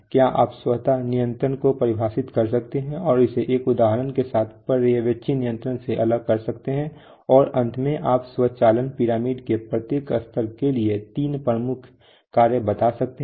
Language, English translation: Hindi, Can you define automatic control and distinguish it from supervisory control with an example, and finally can you state three major functions for each level of the automation pyramid